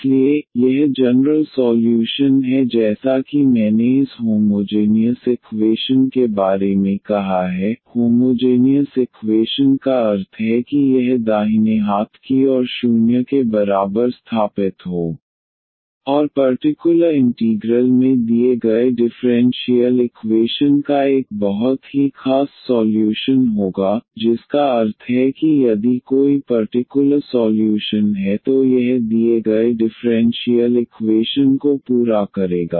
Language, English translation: Hindi, So, this is the general solution as I said of this homogeneous equation; homogeneous equation means this setting this right hand side equal to 0 and the particular integral will have a very particular solution of the given differential equations meaning that if a is any particular solution then this will satisfy the given differential equation